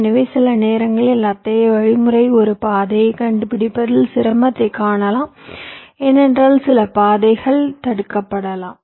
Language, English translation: Tamil, so there, sometimes the line such algorithm may find difficulty in finding a path because some of the paths may be blocked